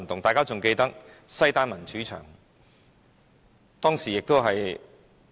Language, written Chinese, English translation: Cantonese, 大家也許記得西單民主牆。, Members may recall the Xidan Democracy Wall